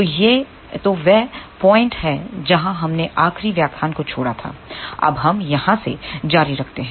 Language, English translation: Hindi, So, this is the point where we left in the last lecture let us continue from here now